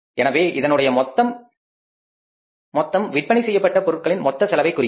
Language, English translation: Tamil, So this total will become become the total cost of goods sold